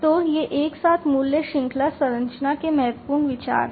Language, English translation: Hindi, So, these together are important considerations of the value chain structure